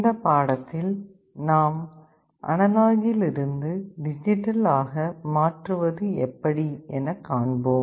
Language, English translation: Tamil, In this lecture, we shall be starting our discussion on Analog to Digital Conversion